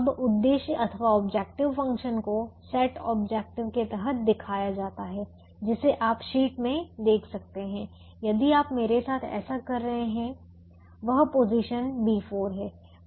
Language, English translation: Hindi, now the objective function is shown under something called set objective, which you can see in the sheet if you are doing this along with me